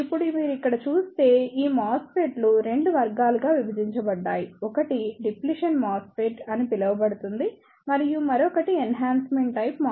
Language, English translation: Telugu, Now, if you see here this MOSFETs are divided into 2 categories; one is known as the Depletion MOSFET and other one is Enhancement type MOSFET